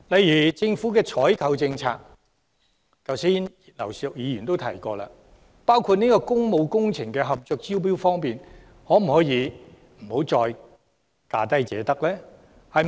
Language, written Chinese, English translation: Cantonese, 以政府的採購政策為例，正如剛才葉劉淑儀議員提到，工務工程合約可否不再以價低者得的方式進行招標？, Can we be more efficient? . Taking the Governments procurement policy as an example as mentioned by Mrs Regina IP with regard to tendering for public works projects can we cease to award the contract to the lowest bidder?